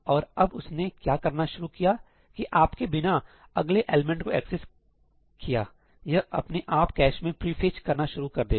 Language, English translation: Hindi, And now what it starts doing is without you accessing the next element, it will start automatically pre fetching it into the cache